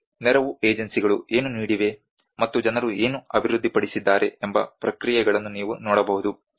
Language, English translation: Kannada, You can see the responses what the aid agencies have given, and what people have developed